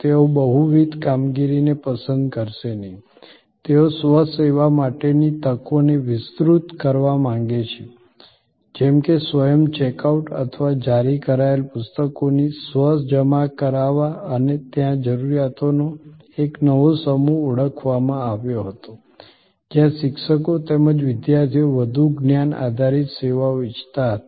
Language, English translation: Gujarati, They would not like multiple operations, they would like to expand the opportunities for self service like self check out or self depositing of issued books and there was a new set of requirements identified, where faculty as well as students wanted more knowledge based services